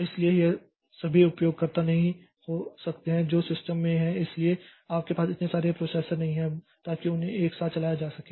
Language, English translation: Hindi, So, it cannot be all the users that are there in the system so we don't have so many processors so that they can be run simultaneously